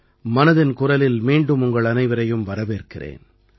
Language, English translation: Tamil, Welcome once again to Mann Ki Baat